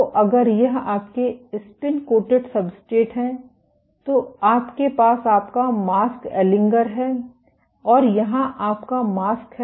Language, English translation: Hindi, So, if this is your spin coated substrate you have your mask aligner and here is your mask